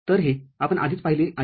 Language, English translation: Marathi, So, this is we already have seen